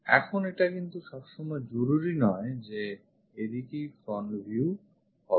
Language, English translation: Bengali, Now it is not necessary that front view always be in this direction